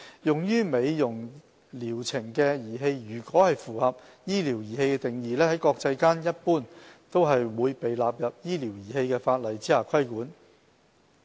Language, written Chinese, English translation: Cantonese, 用於美容療程的儀器如果符合"醫療儀器"定義，在國際間一般都會被納入醫療儀器法例下規管。, In case the devices used in cosmetic purposes meet the definition of medical device they are generally regulated under the medical device legislation internationally